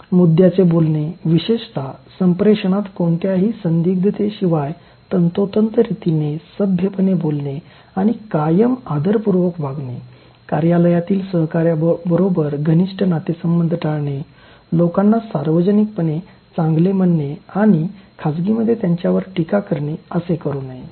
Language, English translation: Marathi, Talking to the point, especially in communication and in a precise manner without any ambiguity, being courteous, polite and respectful all the time, avoiding intimate relationships with office colleague, pricing people in public but criticizing them in private